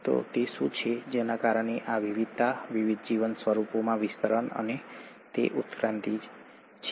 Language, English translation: Gujarati, So what is it that caused this variation, this distribution in different life forms, and that is evolution